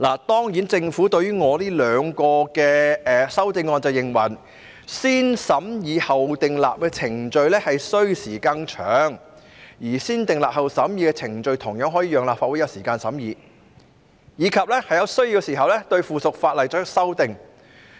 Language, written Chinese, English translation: Cantonese, 當然，對於我這兩項修正案，政府表示"先審議後訂立"的程序需時更長，而"先訂立後審議"的程序同樣可以讓立法會有時間審議及在有需要時對附屬法例作出修訂。, Of course regarding these two amendments that I have proposed the Government said that the positive vetting procedure usually takes longer whereas the negative vetting procedure also allow the Legislative Council to scrutinize the subsidiary legislation and to amend it if necessary